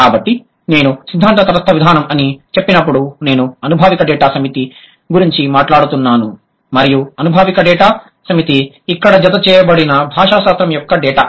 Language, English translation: Telugu, So, when I say theory neutral approach, I'm talking about the empirical data set and the empirical data set is a linguistic data set here